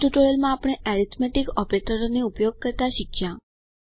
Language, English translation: Gujarati, In this tutorial we learnt how to use the arithmetic operators